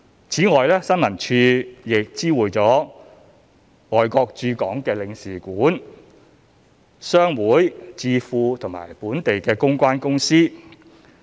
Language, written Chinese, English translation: Cantonese, 此外，新聞處亦知會了外國駐港領事館、商會、智庫及本地公關公司。, Besides ISD has also issued tender notifications to consulates trade associations think tanks and local PR firms